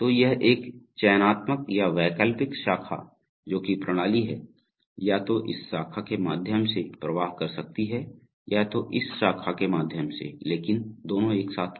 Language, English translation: Hindi, So, that was a selective or alternative branch that is the system can either flow through this branch or flow through this branch but not both of them simultaneously